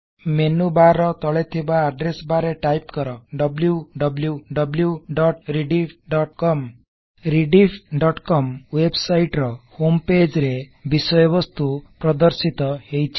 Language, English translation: Odia, In the Address bar below the menu bar, type: www.rediff.com The content on the home page of Rediff.com website is displayed